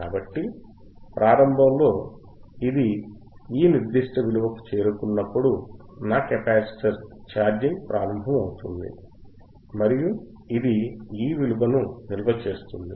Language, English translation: Telugu, sSo initially, when it reaches to this particular value, right my capacitor will start charging and it will store this value